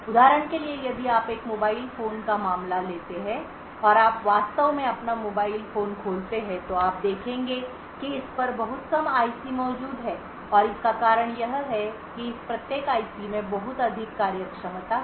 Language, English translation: Hindi, So for example if you take the case of a mobile phone and you actually open up your mobile phone you would see that there are very few IC’s present on it and the reason being is that each of this IC’s have a lot of different functionality